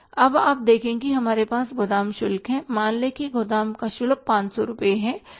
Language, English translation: Hindi, Then we have the warehouse charges, warehouse charges are say 500 rupees